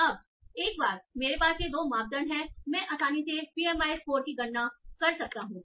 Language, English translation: Hindi, Now once I have these 2 majors, I can easily compute the PMI score